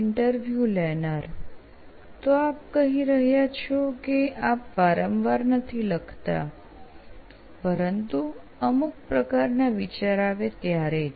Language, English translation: Gujarati, So you are saying you do not write very often, but when you have some kind of thoughts